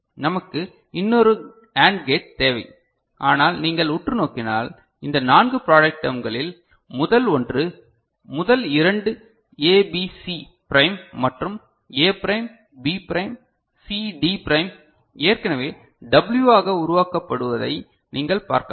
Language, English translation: Tamil, We need another AND gate, but if you look closely, you can see that out of this four product terms that are there the first one first two ABC prime and A prime, B prime C D prime is already getting generated as W